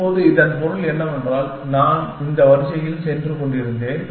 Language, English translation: Tamil, Now, what it means is that, I was going in this order